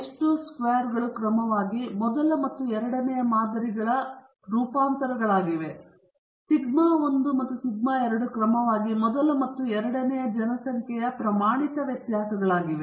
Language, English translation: Kannada, S 1 square and S 2 squares are the sample variances of the first and second samples respectively, and sigma 1 and sigma 2 are the standard deviations of the first and second populations respectively